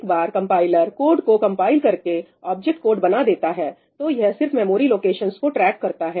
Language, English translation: Hindi, Once the compiler has compiled a code in created the object code, it only keeps track of memory locations